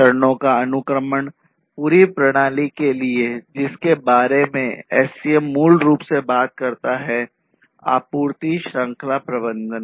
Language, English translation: Hindi, So, the sequencing of the stages for the whole system is what SCM basically talks about, supply chain management